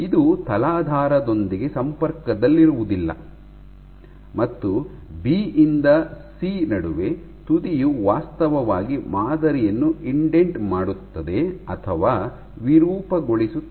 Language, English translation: Kannada, It is not in contact with the substrate and between point B to C the tip is actually indenting or deforming the sample